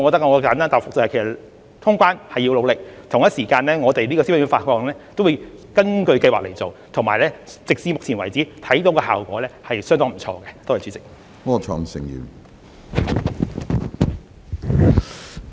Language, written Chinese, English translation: Cantonese, 我簡單答覆，通關是要努力的，同時，消費券的發放也會根據計劃去做，到目前為止，我們看到的效果也是相當不錯的。, My brief reply is that we still have to work hard towards traveller clearance . At the same time the vouchers will be disbursed according to the Scheme . To date we have seen fairly good results